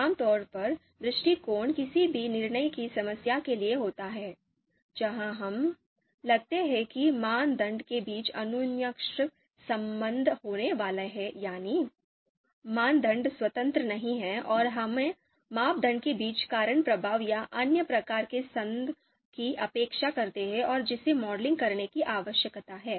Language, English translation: Hindi, So typically, the approach is for any you know decision problem where we feel that you know interdependence between criteria are going to be there, the criteria are you know not independent and we expect you know cause effect or other kinds of association between criteria and that needs to be modeled